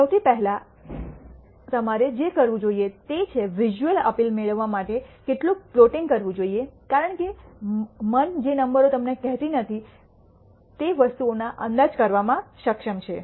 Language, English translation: Gujarati, The first and foremost that you should do is to do some plotting to get a visual appeal because the mind is capable of inferring things what numbers do not tell you